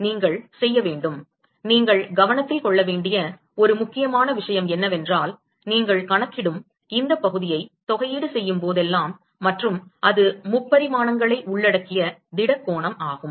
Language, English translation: Tamil, You have to; One important thing you have to keep in mind is whenever you do these integration these area that you are calculating and the solid angle it involves three dimensions